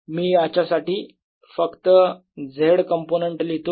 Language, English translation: Marathi, i can write only the z component of this